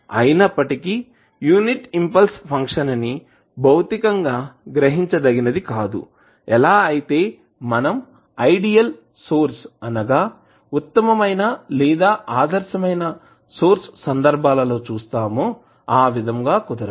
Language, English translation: Telugu, Now, although the unit impulse function is not physically realizable similar to what we have seen in the case of ideal sources like ideal voltage source and ideal current source